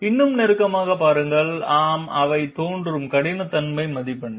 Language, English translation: Tamil, Yet closer look yes, those are the roughness marks which appear